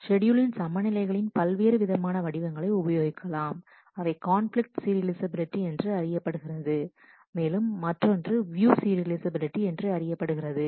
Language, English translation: Tamil, Different forms of schedule equivalence is used one is called conflict serializability, and the other is called view serializability